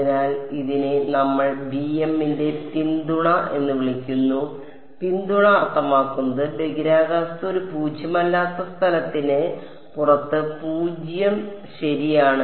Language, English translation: Malayalam, So, this is we called it the support of b m of r; support means, the region in space where it is non zero outside it is 0 ok